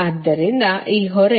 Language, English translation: Kannada, this is the